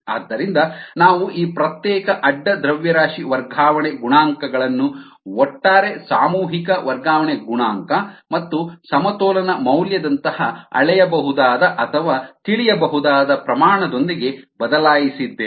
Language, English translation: Kannada, so we have replace this individual side mass transfer coefficients with an overall mass transfer coefficient and measurable or knowable quantity, such as the ah equilibrium value